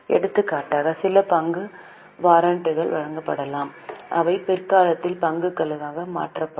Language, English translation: Tamil, For example, there could be some share warrants issued which will get converted into shares at a latter date